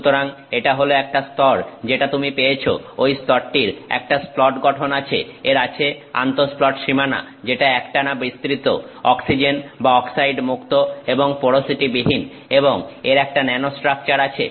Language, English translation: Bengali, So, that is the layer that you have got, that layer has a splat structure, it has inter splat boundaries which are oxygen oxide free continuous without any porosity and it is having a nanostructure